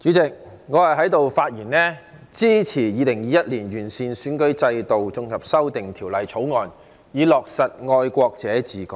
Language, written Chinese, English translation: Cantonese, 代理主席，我發言支持《2021年完善選舉制度條例草案》，以落實"愛國者治港"。, Deputy President I rise to speak in support of the Improving Electoral System Bill 2021 the Bill to implement patriots administering Hong Kong